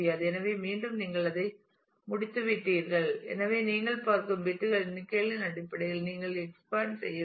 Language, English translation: Tamil, So, again you have run out of that; so, you need to expand in terms of the number of bits that you look at